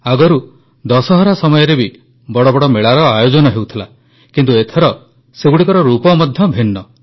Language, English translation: Odia, Earlier, grand fairs used to be held on the occasion of Dussehra…but in present times, they took on a different form